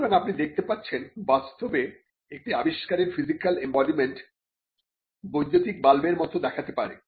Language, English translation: Bengali, So, you see that an invention in reality the physical embodiment may look like any electric bulb